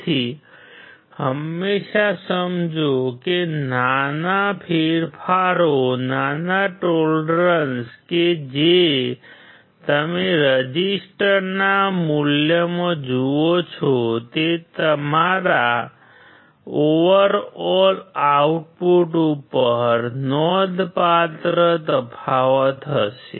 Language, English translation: Gujarati, So, always understand that the small changes, small tolerances that you see in the resistance value will have a significant difference on your overall output